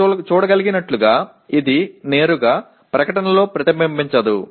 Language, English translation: Telugu, As you can see it does not directly get reflected in the statement